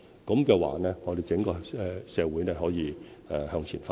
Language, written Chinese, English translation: Cantonese, 這樣的話，我們整個社會便可以向前發展。, In this way the development of our whole community can be advanced